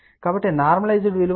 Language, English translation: Telugu, So, the normalized value is 60 by 50, 1